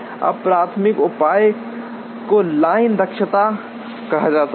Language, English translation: Hindi, Now the primary measure is called line efficiency